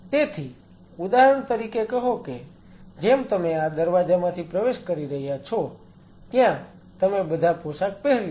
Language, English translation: Gujarati, So, say for example, like you are entering through this door you get all dressed up